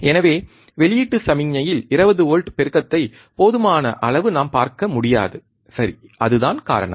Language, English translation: Tamil, So, we cannot see enough amplification of 20 volts at the output signal, alright so, that is the reason